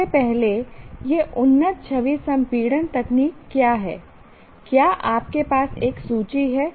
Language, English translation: Hindi, First of all, what are these advanced image compression techniques